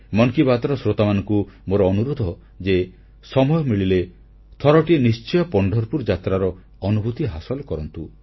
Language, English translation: Odia, I request the listeners of "Mann Ki Baat" to visit Pandharpur Wari at least once, whenever they get a chance